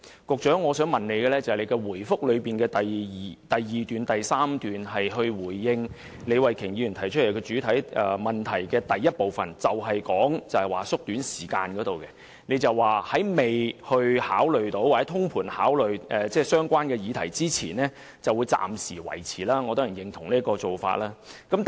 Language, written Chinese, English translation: Cantonese, 局長在主體答覆的第二及第三段回應李慧琼議員的主體質詢第一部分時，提及縮短投票時間的建議，並表示在完成全盤考慮相關議題之前，會暫時維持現有的投票時間。, In the second and third paragraphs of the main reply the Secretary in response to part 1 of Ms Starry LEEs main question touches on the proposal for shortening the polling hours and indicates that the present polling hours will be maintained for the time being before the completion of a holistic review of the related issues